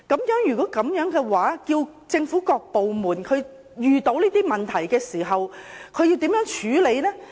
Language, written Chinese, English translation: Cantonese, 如是，當政府各部門遇到這些問題時，它們要如何處理呢？, If so when various government departments encounter these problems how are they going to deal with them?